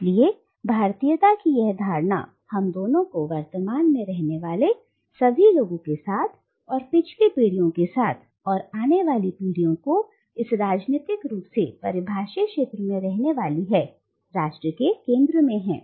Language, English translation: Hindi, So this notion of Indianness as connecting us both with all the people living at the present and with the past generations and the future generations who are to live within this politically defined territory is at the heart of the idea of nation